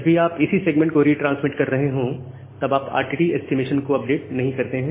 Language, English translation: Hindi, So, you do not update your RTT estimation whenever you are retransmitting a segment